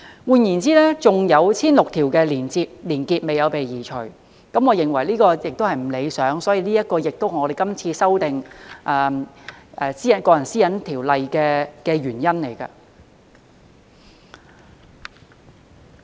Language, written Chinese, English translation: Cantonese, 換言之，仍有 1,600 條連結沒有被移除，我認為這情況並不理想，所以這也是我們今次修訂《個人資料條例》的原因。, In other words 1 600 weblinks have not been removed . I think this is undesirable and this is also a reason for our amendment of the Personal Data Privacy Ordinance this time around